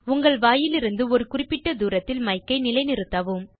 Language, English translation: Tamil, Position the mic at a fixed distance from your mouth